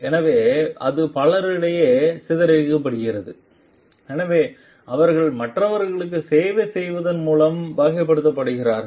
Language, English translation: Tamil, So, it is dispersed on many so they are characterized by serving others